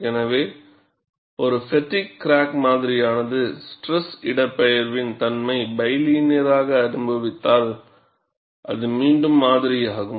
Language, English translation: Tamil, So, if a fatigue cracked specimen experiences a stress displacement behavior as bilinear, which is the model again